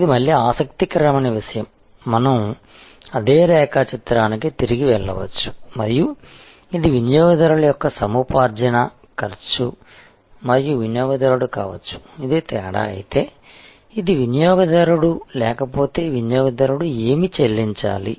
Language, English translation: Telugu, This is something interesting again, we can go back to that same diagram and you can see that, if this is the acquisition cost of the customer and the customer might have been, if this is the difference, this is the customer, what the customer would have paid otherwise